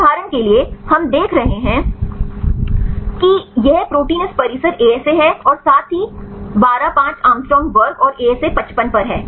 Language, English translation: Hindi, For example is we see these protein this is the ASA of this complex right as well as in 12 5 angstroms square and ASA is 55 and so on